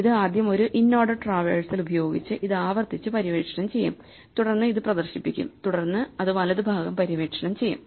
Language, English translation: Malayalam, So, it will first explore this recursively again using an inorder traversal then it will display this and then it will explore the right